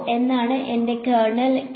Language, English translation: Malayalam, What is my kernel K